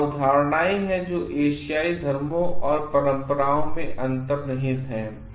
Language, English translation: Hindi, These are the concepts which are embedded in the Asian religions and traditions